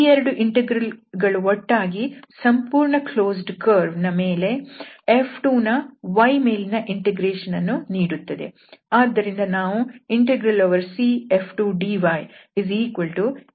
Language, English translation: Kannada, So, these 2 integrals will again make the whole closed curve where the F 2 is integrated with respect to y